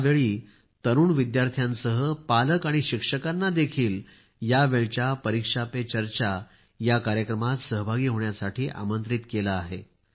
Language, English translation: Marathi, This time, along with the youth, parents and teachers are also invited to 'Pariksha Pe Charcha'